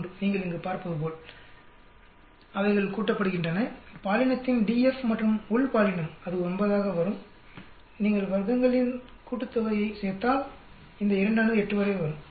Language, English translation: Tamil, 3, as you can see here they all add up, DF of gender and within gender it will come out to be 9, if you add up sum of squares these 2 will come up to 8